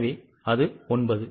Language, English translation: Tamil, So, it is 9